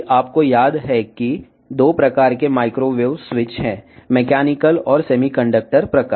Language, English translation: Telugu, Now, if you remember there are 2 type of microwave switches; mechanical and semiconductor type